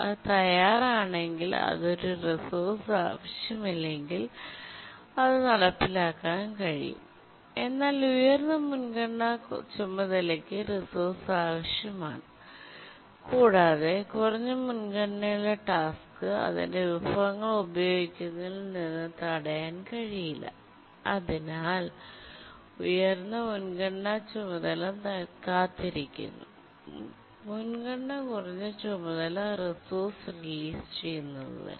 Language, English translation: Malayalam, But then the high priority task needs the resource and the low priority task cannot be preempted from using its resource and therefore the high priority task keeps on waiting for the low priority task to release its resource